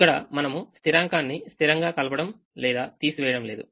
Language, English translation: Telugu, here we are not consistently adding or subtracting the same constant